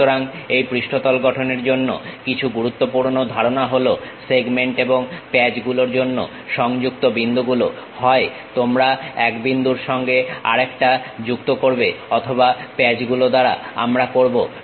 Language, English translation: Bengali, So, some of the important concepts for this surface constructions are join points for segments and patches either you join by one point to other point or by patches we will do